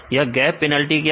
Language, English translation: Hindi, Then what is gap penalty